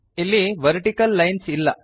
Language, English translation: Kannada, See there are two vertical lines